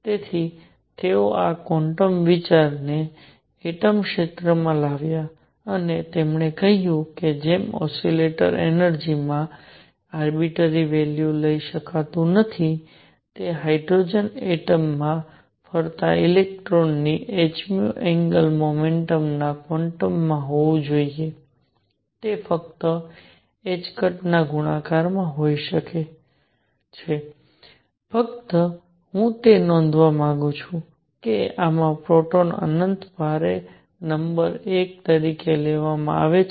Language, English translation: Gujarati, So, he brought this quantum idea into the atomic domain and he said just like an oscillator cannot take arbitrary values of energy, it has to be in the quant of h nu angular momentum of electron going around in hydrogen atom can be in multiples of h cross only, just I wish to note that in this a proton is taken to be infinitely heavy number 1